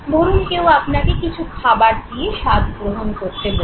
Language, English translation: Bengali, Say somebody gives you something to taste